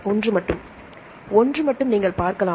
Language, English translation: Tamil, Only one you can see here